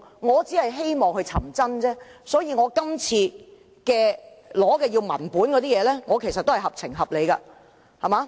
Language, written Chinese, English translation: Cantonese, 我只是希望尋找真相，所以動議議案要求索取文件，其實合情合理。, I only want to find out the truth and so I moved this motion to obtain the documents . In fact my request is reasonable